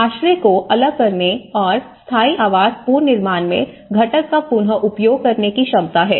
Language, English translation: Hindi, Ability to disassemble the shelter and reuse component significantly in permanent housing reconstruction